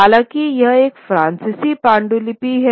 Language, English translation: Hindi, However, this is a manuscript which is Persian